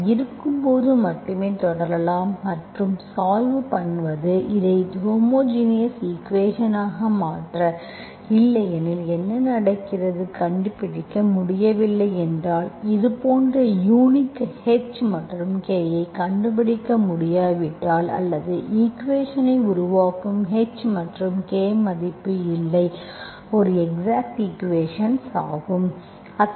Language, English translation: Tamil, Only when they exist, you can proceed and solve, you convert this into homogeneous equation, otherwise what happens, if you cannot find, when can you not find such a unique H and K or no H and K value such that that makes the equation an exact equation